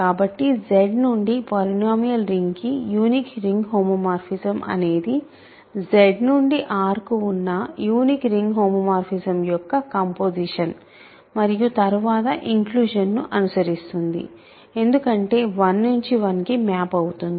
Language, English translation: Telugu, So, the unique ring homomorphism from Z to the polynomial ring is simply the composition of the unique ring homomorphism from Z to R and then followed by the inclusion because, 1 has to go to 1